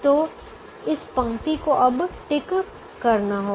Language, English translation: Hindi, so this row will now have to be ticked again